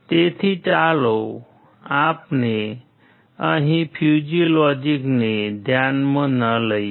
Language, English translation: Gujarati, So, let us not consider fuzzy logic here